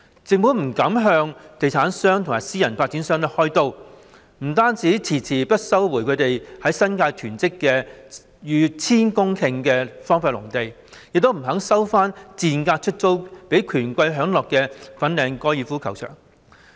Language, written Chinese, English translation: Cantonese, 政府不敢向地產商或私人發展商開刀，不單遲遲不收回它們在新界囤積的逾千公頃荒廢農地，亦不願收回賤價出租予權貴享樂的粉嶺高爾夫球場。, The Government dare not take any measure that targets property developers or private developers . Not only has it dragged its feet in resuming the over 1 000 hectares of derelict agricultural lands hoarded by them in the New Territories it is also unwilling to resume the Fanling Golf Course which is rented to the powerful and privileged for their enjoyment at a giveaway rate